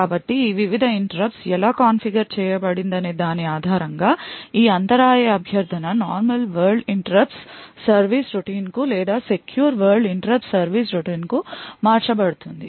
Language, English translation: Telugu, So, based on how these various interrupts are configured this interrupt request would be either channeled to the normal world interrupt service routine or the secure world interrupt service routine